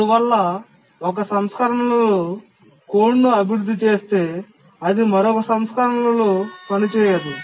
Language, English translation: Telugu, So you develop code on one version, it don't work on another version